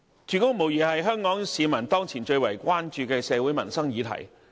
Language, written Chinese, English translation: Cantonese, 住屋無疑是香港市民當前最為關注的社會民生議題。, Housing is undoubtedly the social and livelihood issue that Hong Kong people are most concerned about at present